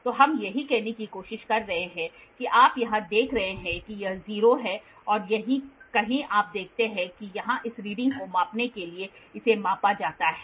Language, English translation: Hindi, So, this is what we are trying to say you see here this is 0 and somewhere here you see there is a to measure this reading here this is measured